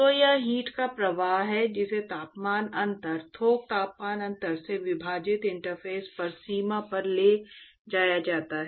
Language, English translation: Hindi, So, that is the flux of heat that is transported at the boundary at the interface divided by the temperature difference, bulk temperature difference